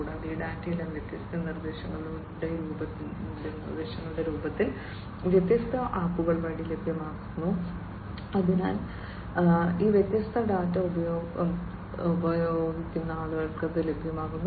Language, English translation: Malayalam, And all these data are also made available through different apps in the form of different instructions or these different data are made available to the users